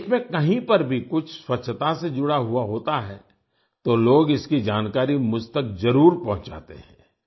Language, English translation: Hindi, If something related to cleanliness takes place anywhere in the country people certainly inform me about it